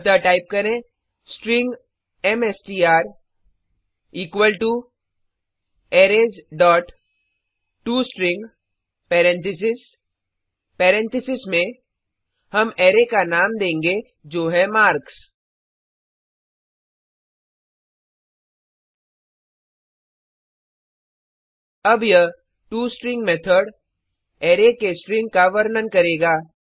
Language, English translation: Hindi, SoType String mStr equal to Arrays dot toString Paranthesis inside Paranthesis will give the array name i.emarks Now this toString method will give the string representation of the array